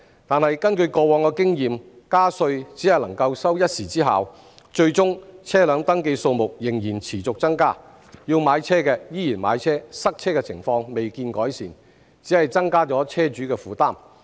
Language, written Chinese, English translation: Cantonese, 但是，根據過往的經臉，加稅只能收一時之效，最終車輛登記數目仍然持續增加，要買車的依然買車，塞車情況未見改善，只是增加車主的負擔。, However based on past experience tax increases can only produce temporary effects . Eventually the number of registered vehicles still continues to grow as those who want to have a car will buy one anyway . While improvement in traffic congestion has yet to be seen this only adds to the burden on car owners